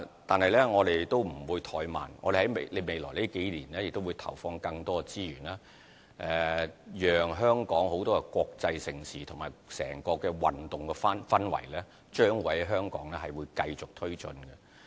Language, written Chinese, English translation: Cantonese, 但是，我們不會怠慢，我們在未來數年會投放更多資源，讓香港的國際盛事及整個運動氛圍繼續推進。, But we will not be complacent . In the coming few years we will inject more resources so as to continue promoting major international sports events and boosting the overall sports atmosphere